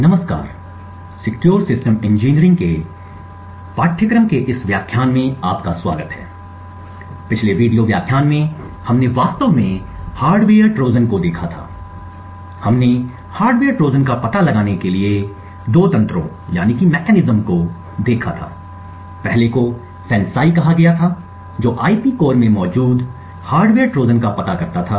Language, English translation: Hindi, Hello and welcome to this lecture in the course for Secure Systems Engineering, in the previous video lectures we had actually looked at hardware Trojans we had looked at two mechanisms to detect hardware Trojans, the first was called FANCI which detected hardware Trojans present in IP cores the second was using side channels such as the power consumption of a device to identify the presence of a hardware Trojan in a fabricated IC